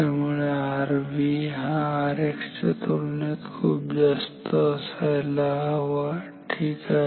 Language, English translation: Marathi, So, R V should be very high compared to R X ok